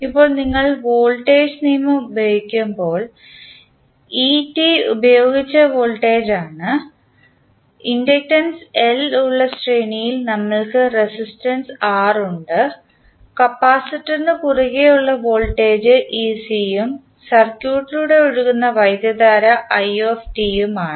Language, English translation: Malayalam, Now, when you use the voltage law so et is the applied voltage, we have resistance R in series with inductance L and the voltage across capacitance is ec and current flowing through the circuit is it